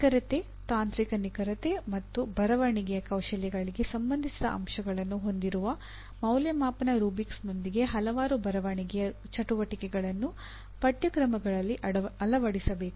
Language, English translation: Kannada, Several writing exercises should be embedded into a number of courses with evaluation rubrics having elements related to correctness, technical correctness and writing skills